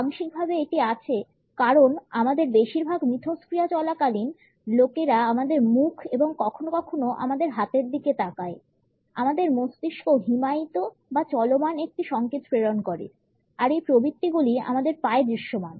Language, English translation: Bengali, Partially it is there because during most of our interactions people tend to focus on our face and sometimes on our hands; our brain transmits a signals of freezing or running these instincts are visible in our legs